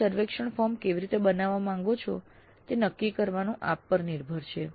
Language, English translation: Gujarati, It is possible it is up to you to decide how exactly you would like to design the survey form